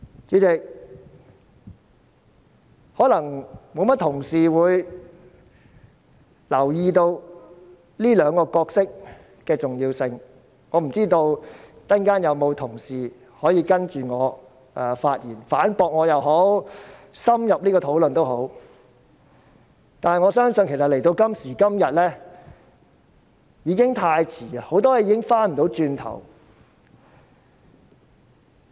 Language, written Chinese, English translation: Cantonese, 主席，可能不多同事會留意這兩個角色的重要性，我不知道稍後有否同事接着我發言，反駁我也好，作深入討論也好，但我相信到了今時今日，已經太遲，很多事情已不能回頭。, Chairman perhaps not many colleagues will be aware of the importance of these two roles . I do not know if other colleagues who will speak after me will refute me or have an in - depth discussion on the subject . However I believe that it is already too late now because many things cannot be reversed